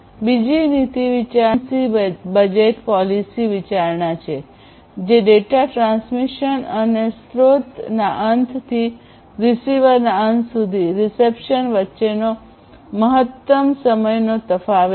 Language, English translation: Gujarati, The second policy consideration is the latent latency budget policy consideration; which is the maximum time difference between the data transmission and reception from source end to the receiver end